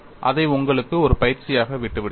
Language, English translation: Tamil, I leave that as an exercise to you